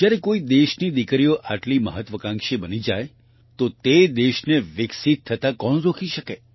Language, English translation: Gujarati, When the daughters of a country become so ambitious, who can stop that country from becoming developed